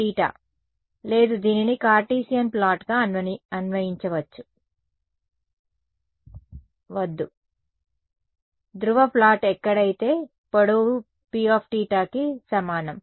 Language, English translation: Telugu, Theta, no do not interpret this as a Cartesian plot, a polar plot where this length over here is what is equal to P of theta